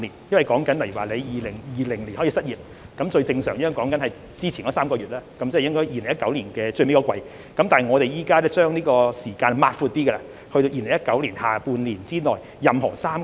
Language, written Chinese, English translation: Cantonese, 例如申請人在2020年失業，一般是提交之前3個月的收入證明，即是2019年最後一季，但現把時間擴闊至2019年下半年之內的任何3個月。, For example an applicant who became unemployed in 2020 is normally required to provide income proof for the three months before that ie . the last quarter of 2019 but the income reference period has now been extended to any three months in the second half of 2019